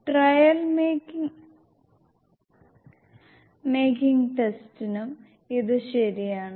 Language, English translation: Malayalam, This is true for trail making test as well